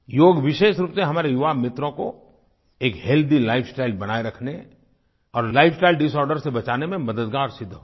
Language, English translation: Hindi, Yoga will be helpful for especially our young friends, in maintaining a healthy lifestyle and protecting them from lifestyle disorders